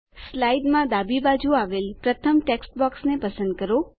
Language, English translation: Gujarati, Select the first text box to the left in the slide